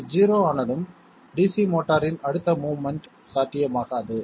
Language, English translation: Tamil, Once it becomes 0, further movement of the DC motor will not be possible